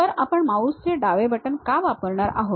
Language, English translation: Marathi, So, the left mouse what we are going to use